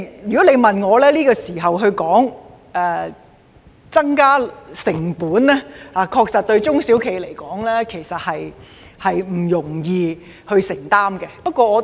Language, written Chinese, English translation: Cantonese, 如果你問我，在這時候增加成本，中小企確實不容易承擔。, If you ask me I will say the additional costs so incurred by SMEs will be hard to bear under the current circumstances